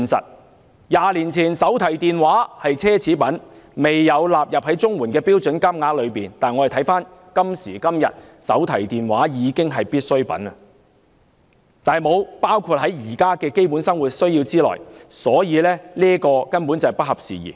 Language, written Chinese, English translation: Cantonese, 在20年前，手提電話是奢侈品，未有納入綜援的標準金額之內，但時至今日手提電話已屬必需品，卻沒有包括在現時的基本生活需要之內，可見根本是不合時宜。, Mobile phones were a luxury 20 years ago and were not included in the CSSA standard rates . However mobile phones have become a necessity nowadays but they are not included in the basic livelihood needs under CSSA presently . It is obvious that the basic livelihood needs are not kept abreast of the times